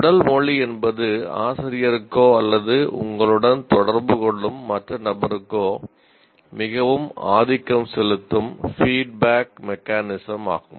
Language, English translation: Tamil, And body language kind of is a very dominant feedback mechanism to the teacher or to the other individual who is interacting with you